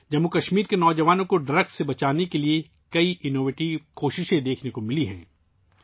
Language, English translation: Urdu, To save the youth of Jammu and Kashmir from drugs, many innovative efforts have been visible